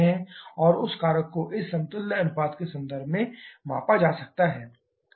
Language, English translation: Hindi, And that factor is measured in terms of this equivalence ratio